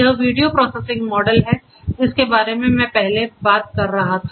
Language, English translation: Hindi, This is this video processing model that I was talking about earlier